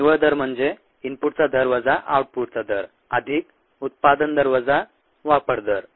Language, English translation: Marathi, the net rate is rate of input minus rate of output, plus rate of generation, minus rate of consumption